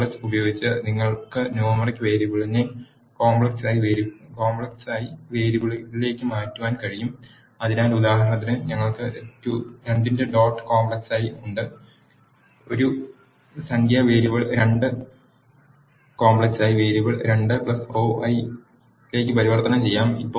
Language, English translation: Malayalam, You can also coerce numeric variable into complex variable by using as dot complex of, so, for example, we have as dot complex of 2, will convert this numeric variable 2 into the complex variable 2 plus 0i